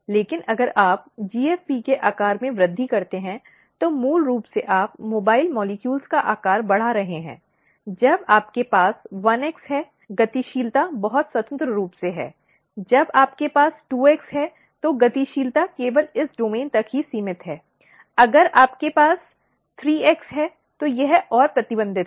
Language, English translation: Hindi, But if you increase the size of GFP, basically you are increasing the mobile molecules, the size of mobile molecules, when you have 1x mobility is very freely; when you have 2x, mobility is restricted only this domain; if we have 3x, it is further restricted